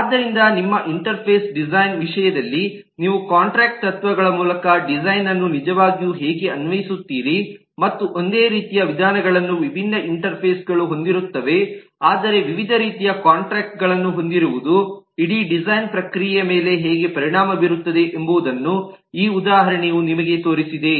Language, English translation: Kannada, so this example i am sure have shown you how you really apply the design by contract principles in terms of your interface design and how really different interfaces having the same set of methods but having different kinds contract will impact the whole design process